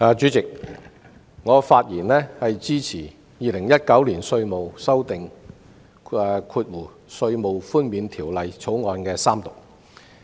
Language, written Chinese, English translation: Cantonese, 主席，我發言支持三讀《2019年稅務條例草案》。, President I speak in support of the Third Reading of the Inland Revenue Amendment Bill 2019 the Bill